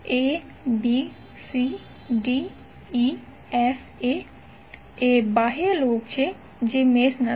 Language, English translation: Gujarati, Abcdefa so outer loop is not a mesh